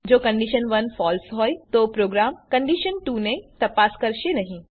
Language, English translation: Gujarati, If condition 1 is false, then the program will not check condition2